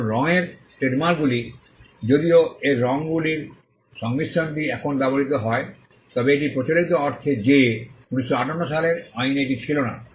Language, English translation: Bengali, Now colour trademarks though its combination of colours is now used, but unconventional in the sense that it was not there in the 1958 act